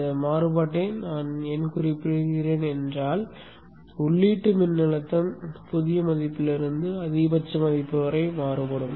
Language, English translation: Tamil, This variation, why I am mentioning this variation is that the input voltage varies from a minimum value to a maximum value